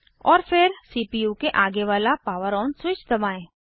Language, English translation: Hindi, And then press the POWER ON switch, on the front of the CPU